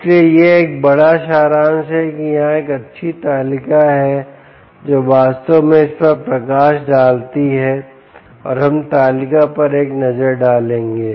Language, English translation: Hindi, there is a nice table which actually highlights that and we will have a look at the table